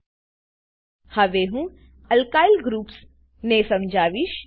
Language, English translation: Gujarati, Now I will explain about Alkyl groups